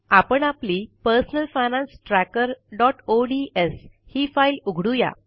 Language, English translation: Marathi, Let us open our personal finance tracker.ods file